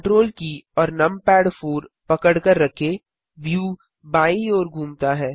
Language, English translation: Hindi, Hold Ctrl numpad 4 the view pans to the Left